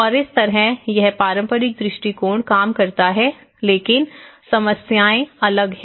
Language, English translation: Hindi, So this is how the traditional approach works but the problems are different